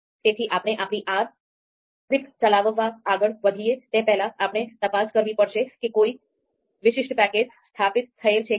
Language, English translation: Gujarati, So okay before before we move ahead into you know executing our R script, we need to check whether a particular package is installed or not